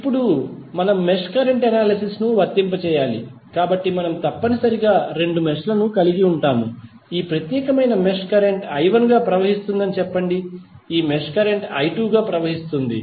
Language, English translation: Telugu, Now, we have to apply mesh current analysis, so we will have essentially two meshes which we can create say let us say that in this particular mesh current is flowing as I 1, in this mesh current is flowing as I 2